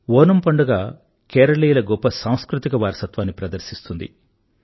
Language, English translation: Telugu, This festival showcases the rich cultural heritage of Kerala